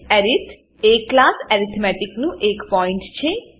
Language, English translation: Gujarati, arith is the pointer to the class arithmetic